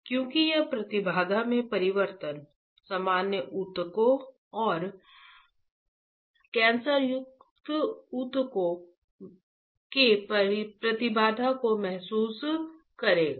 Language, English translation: Hindi, Because it will sense the change in the impedance, impedance of what impedance of normal tissues and cancerous tissues, right